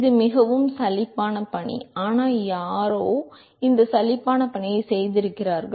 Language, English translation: Tamil, It is a very boring task, but somebody has done this boring task